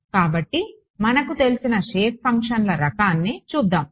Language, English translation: Telugu, So, let us look at the kind of shape functions that we have ok